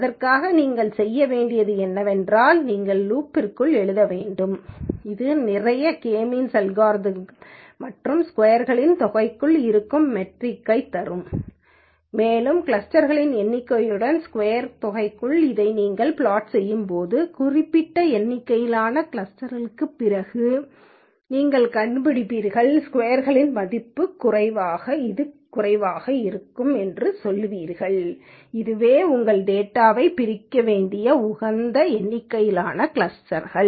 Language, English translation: Tamil, For that all you need to do is you have to write one for loop which does lot of k means algorithms and get the metric which is within sum of squares and when you plot this within sum of squares with the number of clusters, you will find out after certain number of clusters the decrease in this within sum of squares value is low where you say look this is the optimal number of clusters into which your data has to be divided